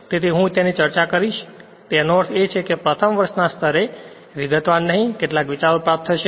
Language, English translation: Gujarati, So, I will it will be discussed in I mean not in detail in brief at first year level some ideas we will get right